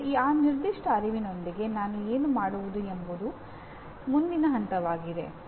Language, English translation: Kannada, Now what do I do with that particular awareness is the next level